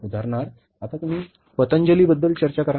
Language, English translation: Marathi, For example, you talk about now the Patanjali